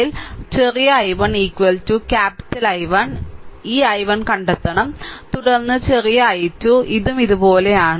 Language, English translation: Malayalam, So, small i 1 is equal to capital I 1 this I 1, you have to find out, then small i 2, this is also going like this, right